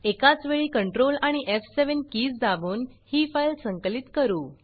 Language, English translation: Marathi, Let me compile this file by pressing control and f7 keys simultaneously